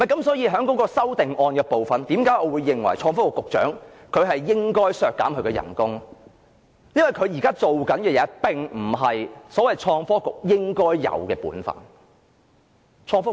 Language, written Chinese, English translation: Cantonese, 所以在修正案的部分，我認為要削減創科局局長的工資，因為他現在的工作並不是創科局應有的本分。, Therefore when we come to the amendment I think there is a need to cut the pay for the Secretary for Innovation and Technology because his work now is not the proper work that should be done by the Innovation and Technology Bureau